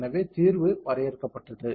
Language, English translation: Tamil, So, it is updating the solution